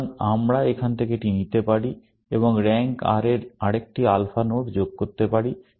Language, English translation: Bengali, So, we can take this from here, and add another alpha node of rank R